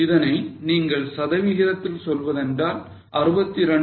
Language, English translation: Tamil, You can also express it as a percentage, that is 62